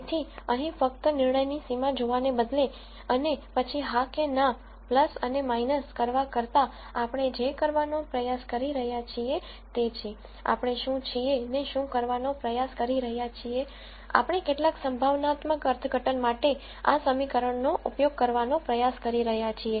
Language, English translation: Gujarati, So, what we are trying to do here is really instead of just looking at this decision boundary and then saying yes and no plus and minus, what we are trying to do is, we are trying to use this equation itself to come up with some probabilistic interpretation